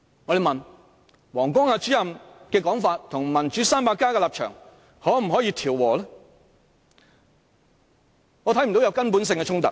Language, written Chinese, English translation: Cantonese, 若問王光亞主任的說法與"民主 300+" 的立場可否調和，我則看不到有根本性的衝突。, One may query if Mr WANG Guangyas remarks can fuse with the stance of Democrats 300 but I do not see any intrinsic contradiction between the two